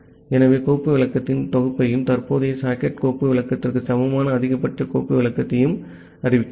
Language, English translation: Tamil, So, we are declaring the set of file descriptor and the maximum file descriptor which is equal to the current socket file descriptor